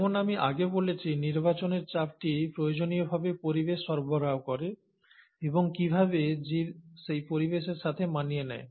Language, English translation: Bengali, Well, as I mentioned earlier, the selection pressure is essentially provided by the environment, and how does the organism adapt to that environment